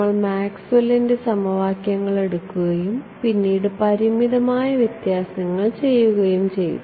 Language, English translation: Malayalam, We took Maxwell’s equations and then and did finite differences right so, finite